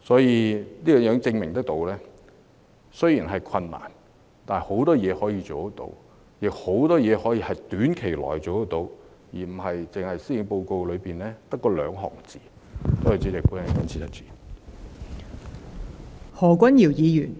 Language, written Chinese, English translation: Cantonese, 這亦證明了雖然會有困難，但可以做的事情仍有很多，亦有很多事情可以在短期內辦得到，而不只是施政報告內的寥寥數語。, This also proves that even though the situation is difficult there are still a lot of things that can be done and done in the short term rather than the few words in the Policy Address